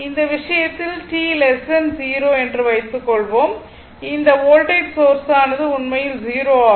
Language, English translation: Tamil, So, in this case suppose for t less than 0 suppose for t less than 0 that means, this voltage source which actually it is 0